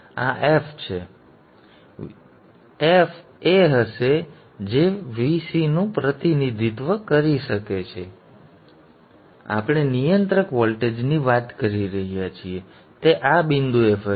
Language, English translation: Gujarati, Now this F would be can represent the VC that we are talking of the controller voltage